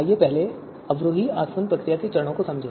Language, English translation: Hindi, So let us understand the steps of the descending distillation procedure first